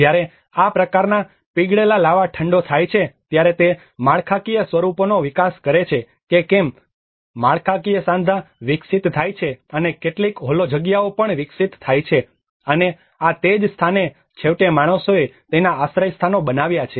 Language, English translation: Gujarati, \ \ \ When these kind of molten lava gets cooled up that is where it develops the structural forms whether structural joints are developed and some hollow spaces are also developed and this is where the hollow spaces becomes eventually man have made his shelters